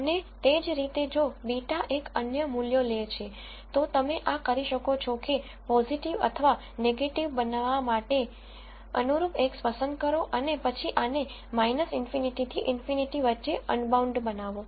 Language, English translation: Gujarati, And similarly if beta one takes the other values, you can correspondingly choose X to be positive or negative and then make this unbounded between minus infinity to infinity